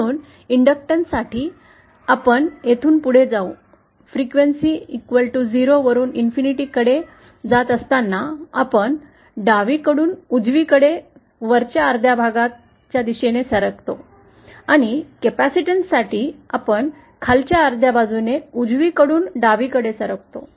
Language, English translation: Marathi, So, for inductance we move fromÉ As the frequency goes from 0 to Infinity, we move from the left to the right along the top half portion and for the capacitance we move from the right to the left along the bottom half